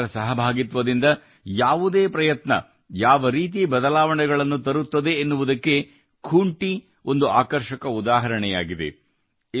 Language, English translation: Kannada, Khunti has become a fascinating example of how any public participation effort brings with it many changes